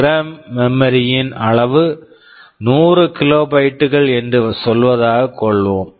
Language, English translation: Tamil, Let us say my the program memory size is 100 kilobytes let us take an example 100 kilobytes